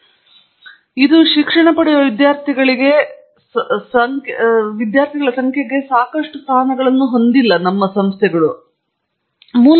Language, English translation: Kannada, But that is an artificial result of our not having enough seats for the number of students who seek education